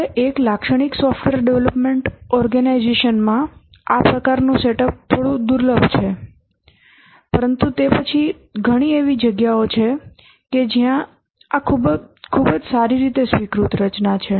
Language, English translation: Gujarati, Even though in a typical software development organization this kind of setup is a bit rare but then there are many places where this is a very well accepted structure